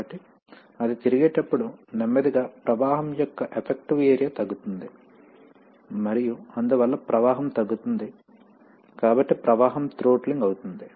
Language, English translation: Telugu, So as it rotates, slowly the effective area of flow will get reduced and therefore the flow will get reduced, so the flow gets throttled